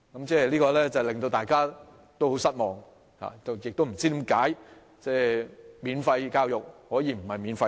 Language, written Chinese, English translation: Cantonese, 這說法令大家感到很失望，亦不知道為何免費教育可以不免費。, This saying has disappointed all people who fail to see why free education can be not free